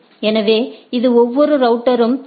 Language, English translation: Tamil, So, it has a each router advised the LSAs